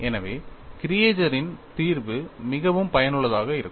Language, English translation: Tamil, So, the solution by Creager is quite useful